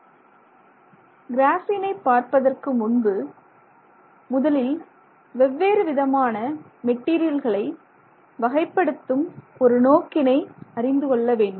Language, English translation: Tamil, So, before we look at graphene specifically, we need to understand the context in which we are looking at different materials